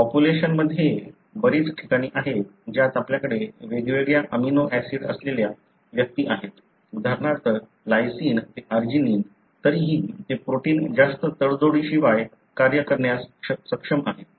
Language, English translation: Marathi, There are many places in the population, wherein you have individuals having different amino acid in the position; like for example lysine to arginine, still that protein is able to function without much of a compromise